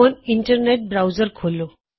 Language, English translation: Punjabi, Open your internet browser